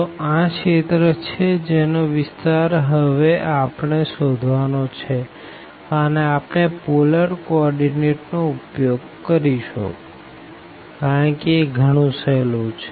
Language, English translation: Gujarati, So, this is the region we want to find the area now, and naturally we will use the polar coordinates because this is again much easier